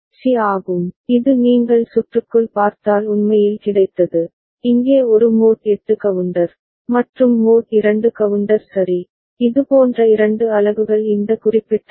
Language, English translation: Tamil, So, IC 7493 is one such IC, which has got actually if you look at inside the circuit, a mod 8 counter over here, and the mod 2 counter ok, two such units are there in this particular IC